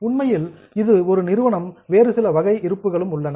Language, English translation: Tamil, Actually, for a company there are some other types of reserves also